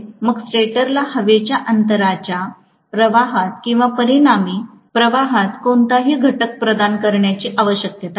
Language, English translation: Marathi, Then stator need not provide any component in the air gap flux or in the resultant flux